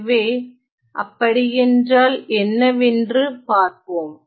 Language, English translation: Tamil, So, let us see what mean by that